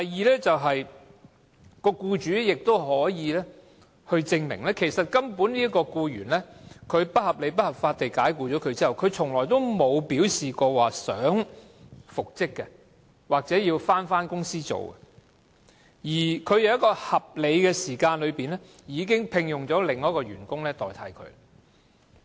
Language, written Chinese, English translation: Cantonese, 第二點，僱主亦可以證明，該名被不合理及不合法地解僱的僱員，從來沒有表示有意復職或返回公司工作，而他亦已在合理時間內聘用另一名員工取代被解僱的員工。, Second the employer can also prove that the employee who has been unreasonably and unlawfully dismissed has never indicated his intention to be reinstated or re - engaged and that he has also engaged a replacement after the lapse of a reasonable period